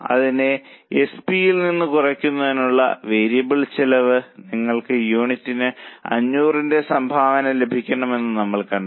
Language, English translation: Malayalam, So, we have seen that variable cost to be deducted from SP, you will get contribution per unit of 500